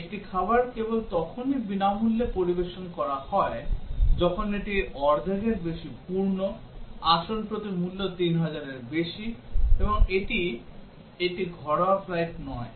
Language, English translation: Bengali, A meal is served free only when it is more than half full, more than 3000 per seat and it is not a domestic flight